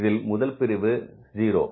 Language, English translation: Tamil, This will be 0